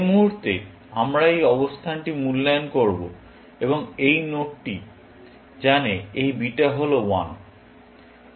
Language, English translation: Bengali, The moment we evaluate this position and this node knows that this beta is 1